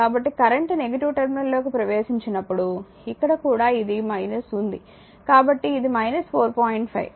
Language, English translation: Telugu, So, current enter into the negative terminal, here also it is minus your therefore, this will be minus 4 into 5